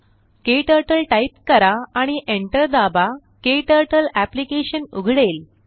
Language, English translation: Marathi, Type KTurtle and press enter, KTurtle Application opens